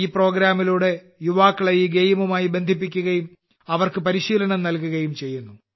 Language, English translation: Malayalam, Under this program, youth are connected with this game and they are given training